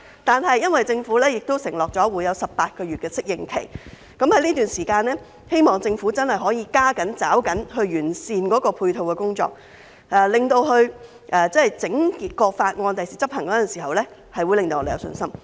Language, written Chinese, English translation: Cantonese, 不過，因為政府已經承諾會有18個月適應期，我希望在這段時間，政府真的可以加緊抓緊時間，完善配套工作，令整項法例將來執行時，可以令我們有信心。, However as the Government has undertaken to put in place an 18 - month phasing - in period I hope the Government will make the best use of the time during the period to enhance the supporting work so that we will be confident about the future implementation of the legislation as a whole